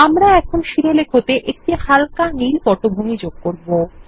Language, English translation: Bengali, We will now, give the header a light blue background